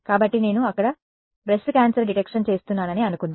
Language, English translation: Telugu, So, supposing I was doing breast cancer detection there